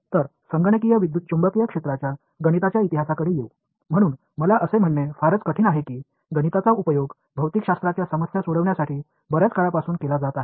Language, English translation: Marathi, So, coming to the mathematical history of the field of computational electromagnetic; so I mean it is hardly necessary to say that, math has been used for solving physics problems for a long time